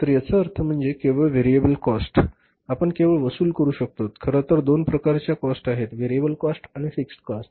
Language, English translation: Marathi, So it means variable cost is only that we are able to recover only the actually there are two kind of the cost, variable cost and the fixed cost